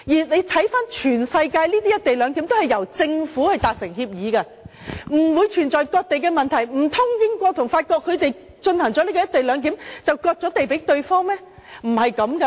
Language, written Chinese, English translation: Cantonese, 環顧全世界的"一地兩檢"均由政府達成協議，不存在割地的問題，難道英國和法國實施"一地兩檢"，便是割地予對方嗎？, World - wide experience shows that co - location arrangements are implemented with agreement forged between governments and these agreements do not involve any cession of land . Do not tell me that the co - location arrangement between the United Kingdom and France is equivalent to ceding their land to each other